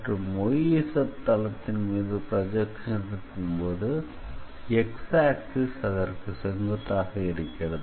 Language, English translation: Tamil, So, if you are taking the projection on XZ plane then basically y axis is perpendicular